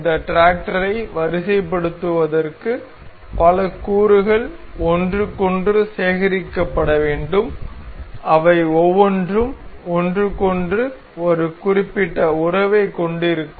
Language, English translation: Tamil, Assembling this tractor requires multiple components to be gathered each other each each of which shall have a particular relation with each other